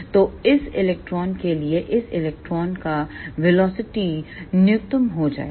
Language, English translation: Hindi, So, for this electron, the velocity of this electron will be reduced to the minimum